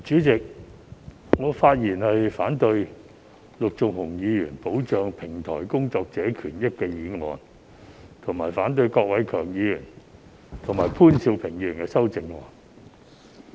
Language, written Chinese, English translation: Cantonese, 主席，我發言反對陸頌雄議員提出"保障平台工作者的權益"的議案，以及反對郭偉强議員和潘兆平議員的修正案。, President I speak against the motion moved by Mr LUK Chung - hung on Protecting the rights and interests of platform workers as well as the amendments proposed respectively by Mr KWOK Wai - keung and Mr POON Siu - ping